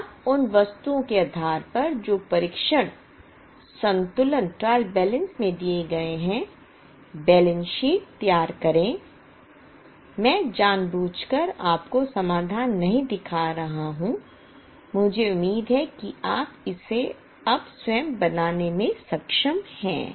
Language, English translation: Hindi, us go to balance sheet now now based on the items which are given in the trial balance prepare the balance sheet I am deliberately not showing you the solution I hope you are able to make it yourself now